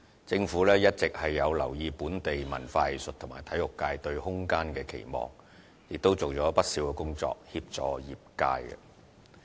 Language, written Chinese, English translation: Cantonese, 政府一直有留意本地文化藝術和體育界對空間的需求，亦已做了不少協助業界的工作。, The Government has all along been keeping an eye on local cultural arts and sports sectors need for room for development and numerous initiatives were implemented to provide assistance to these sectors